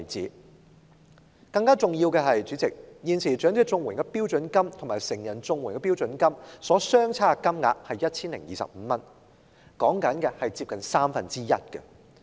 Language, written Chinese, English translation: Cantonese, 主席，更重要的是現時長者綜援與成人綜援的標準金額相差 1,025 元，差額近三分之一。, More importantly President there is currently a difference of 1,025 between the standard rates of elderly CSSA and adult CSSA which is almost a one - third difference